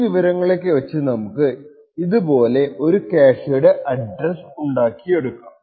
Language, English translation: Malayalam, Based on all of this information we can next construct a typical address of such a cache